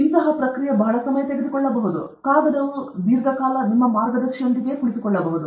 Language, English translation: Kannada, It may take a long time; the paper may be sitting with your guide for a long time